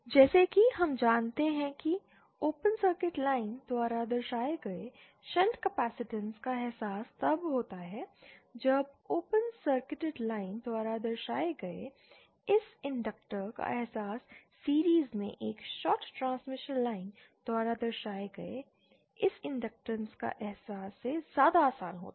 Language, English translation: Hindi, As we know realisation of shunt capacitance represented by open circuit line is either then the realisation of this inductor represented by open circuited line is easier than the realisation of this inductor represented by a shorted transmission line in series